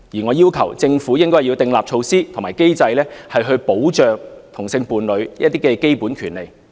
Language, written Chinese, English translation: Cantonese, 我要求政府訂立措施及機制，以保障同性伴侶的一些基本權利。, I request the Government to establish measures and mechanisms to protect some basic rights of homosexual couples